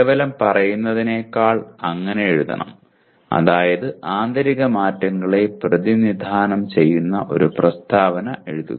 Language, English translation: Malayalam, It should be written like that rather than merely say write a statement that represents internal changes